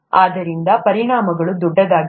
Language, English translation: Kannada, So, the implications are big